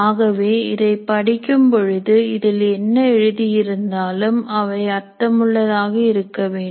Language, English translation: Tamil, So when I read this and whatever that is written here, it should make sense